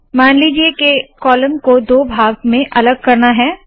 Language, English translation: Hindi, Suppose that we want to split the columns in two